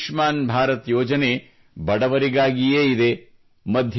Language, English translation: Kannada, See this Ayushman Bharat scheme for the poor in itself…